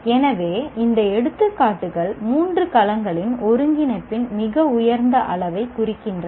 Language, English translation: Tamil, So these examples represent the highest levels of integration of all the three domains